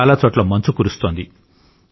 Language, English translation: Telugu, Many areas are experiencing snowfall